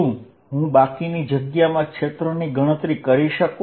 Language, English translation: Gujarati, Can I calculate the field in the rest of the space